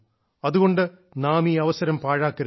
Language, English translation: Malayalam, So, we should not let this opportunity pass